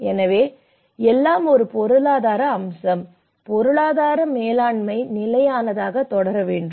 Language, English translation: Tamil, So, everything is an economic aspect; the economic management has to proceed in a sustainable